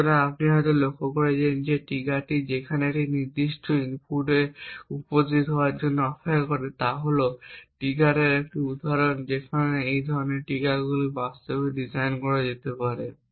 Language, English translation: Bengali, So, you may have also noticed that this trigger where which waits for a specific input to appear is just one example of a trigger there may be many other ways by which such triggers can be actually designed